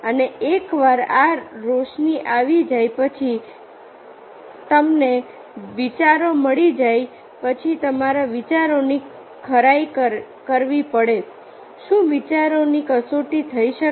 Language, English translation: Gujarati, and once this illumination comes, then, once you get the ideas, then you have to verify the ideas